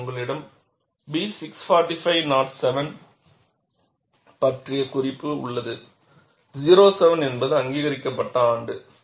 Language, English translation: Tamil, And in that, you have a reference to B 645 07, 07 is the year in which it is approved